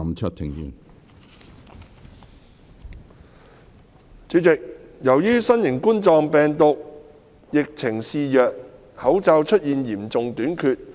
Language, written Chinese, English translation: Cantonese, 主席，由於新型冠狀病毒疫情肆虐，口罩出現嚴重短缺。, President due to the rampant novel coronavirus epidemic face masks are in acute shortage